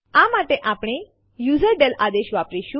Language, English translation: Gujarati, For this we use userdel command